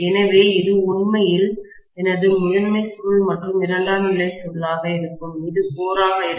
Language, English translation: Tamil, So, this is actually my primary coil probably and this is going to be the secondary coil and this is going to be the core, right